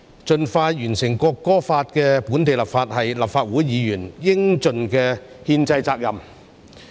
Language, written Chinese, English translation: Cantonese, 盡快完成《國歌法》的本地立法，是立法會議員應盡的憲制責任。, It is the constitutional duty which Legislative Council Members should duly discharge to expeditiously complete the local legislation of the National Anthem Law